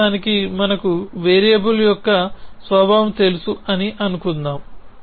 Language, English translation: Telugu, So, for the moment let us assume that we know the nature of a variable